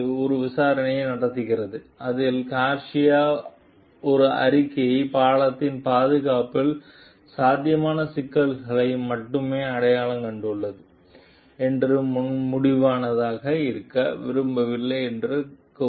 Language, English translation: Tamil, The state holds an investigation in which Garcia states that a report only identified potential problems with the safety of the bridge and was not intended to be conclusive